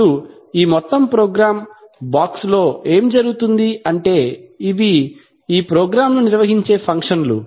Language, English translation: Telugu, Now what happens within this overall program box, that is what are the functions which are carried out in the program